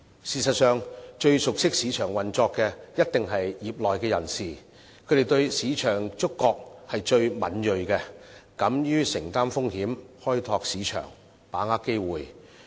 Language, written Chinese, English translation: Cantonese, 事實上，最熟悉市場運作的，一定是業內人士，他們對市場的觸覺最敏銳，敢於承擔風險，開拓市場，把握機會。, In fact those who know best about market operation are definitely people from the trade . They are more sensitive to the market they are willing to undertake risks to explore markets and to seize opportunities